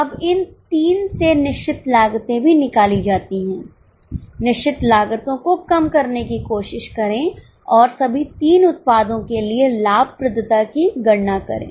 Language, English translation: Hindi, Now, from this three fixed costs are also known, try to reduce the fixed cost and compute the profitability for all the three products